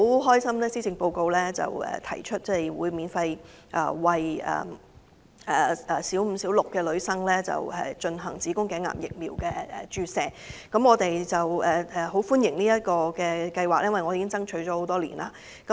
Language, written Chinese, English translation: Cantonese, 對於今次施政報告提出免費為本港小五及小六女生進行子宮頸癌疫苗注射的計劃，我們十分高興，並表示歡迎，因為這是我們多年來所爭取的。, We are also pleased to see that the Policy Address proposes introduction of free HPV vaccination to school girls of Primary Five and Six in Hong Kong . We welcome this proposal because it is a goal that we have been pursuing for many years